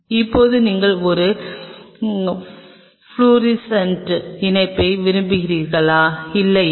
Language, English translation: Tamil, Now whether you wanted to have a fluorescent attachment with it not